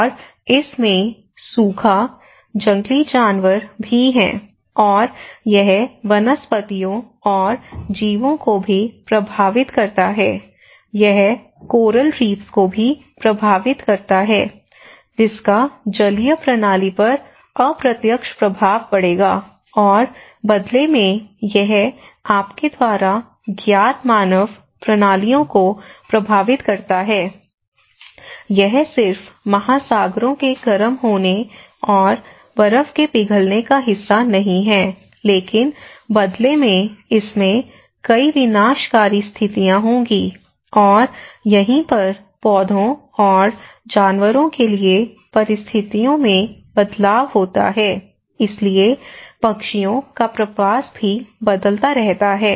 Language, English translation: Hindi, And it also have droughts, wildfires and it also affects the flora and fauna, it also affects the coral reefs which will have an indirect effect on the aquatic system and in turn it affect the human systems you know so, it works not only on a part of just warming of the oceans and melting of snow but in turn it will have many disastrous conditions and this is where the change in the conditions for plants and animals, so as well the migration of birds also keep changing